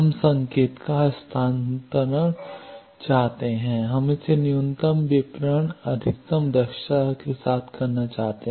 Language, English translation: Hindi, We want transfer of signal we want to do it with minimum distortion maximum efficiency